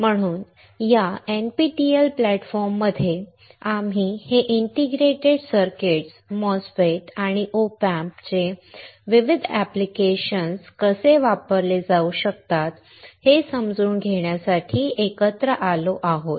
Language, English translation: Marathi, So, in this NPTEL platform, we have come together to understand, how this integrated circuits, MOSFET and OP Amps can be used for various applications